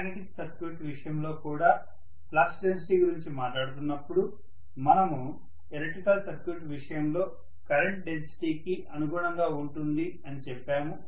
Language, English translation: Telugu, And we also said when we were talking about flux density in the case of a magnetic circuit that is correspond to corresponding to current density in the case of an electrical circuit, right